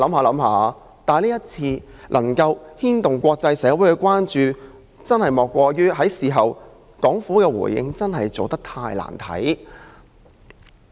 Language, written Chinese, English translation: Cantonese, 今次事件之所以牽動國際社會的關注，莫過於港府事後的回應真是太難看了。, This incident has aroused the concern of the international community because the Governments response is really too disgraceful